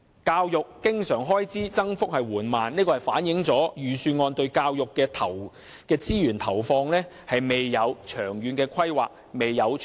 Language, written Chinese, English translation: Cantonese, 教育經常開支增長緩慢，反映出預算案對教育資源的投放未有長遠的規劃和承擔。, The slow growth of recurrent expenditure on education reflects that the Budget fails to have long - term planning and commitments in the allocation of education resources